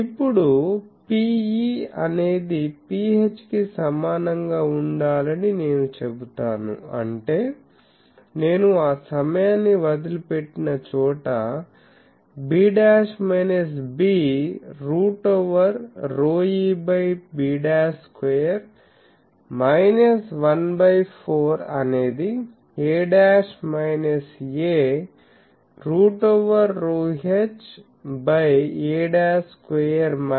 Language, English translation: Telugu, Now, I will put that P e should be equal to P h; that means, where I left that time b dash minus b root over rho e by b dash square minus 1 by 4 is equal to a dash minus a root over rho h by a dash square minus 1 4 ok